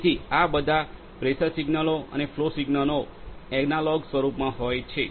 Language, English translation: Gujarati, So, all the pressure sensor pressure signals and the flow signals are in analog form